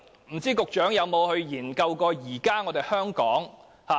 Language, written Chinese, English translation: Cantonese, 不知道局長曾否研究現時香港的情況。, I wonder if the Secretary has looked into the current situation in Hong Kong